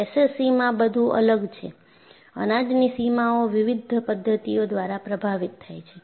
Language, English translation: Gujarati, So, what is distinct in SCC is, grain boundaries are affected by various mechanisms